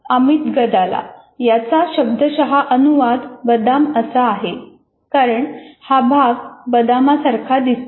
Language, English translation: Marathi, Literal translation, amygdala is because the amygdala looks like an almond